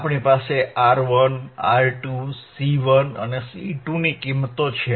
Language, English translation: Gujarati, We have value of R 1, R 2, C 1 and C 2